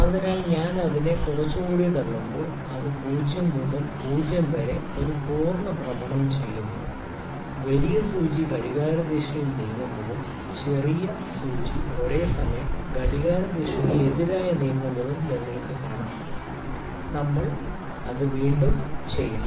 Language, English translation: Malayalam, So, when I push it a little more it makes one complete rotation from 0 to 0, you can see the larger needle is moving in the clockwise direction and the smaller needle is simultaneously moving in the anti clockwise direction, we will do it Again